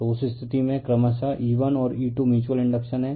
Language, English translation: Hindi, So, in that case your that your E1 and E2 respectively / mutual inductions